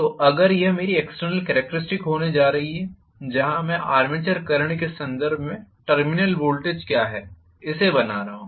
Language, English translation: Hindi, So, if this is going to be my external characteristic were I am drawing the variation of what is the terminal voltage with reference to the armature current that I am drawing